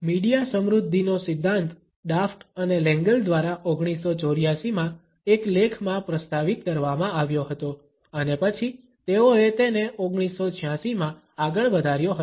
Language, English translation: Gujarati, The media richness theory was proposed by Daft and Lengel in a paper in 1984 and then they further extended it in 1986